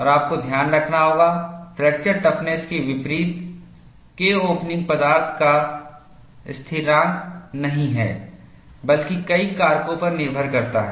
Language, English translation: Hindi, And, you have to note, unlike the fracture toughness, K opening is not a material constant; but depends on a number of factors